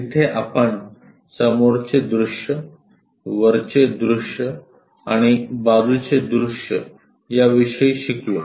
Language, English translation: Marathi, There we have learned about the views like front view, top view, and side views